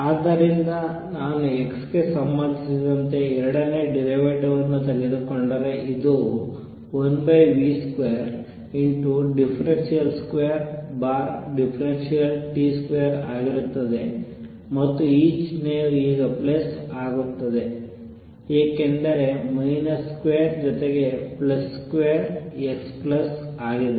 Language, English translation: Kannada, So, if I take the second derivative with respect to x this is going to be 1 over v square second derivative with the respect to time and this sign becomes plus now because minus square is plus plus square x plus